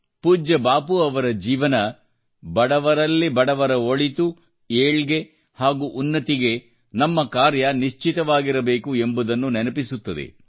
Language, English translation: Kannada, Revered Bapu's life reminds us to ensure that all our actions should be such that it leads to the well being of the poor and deprived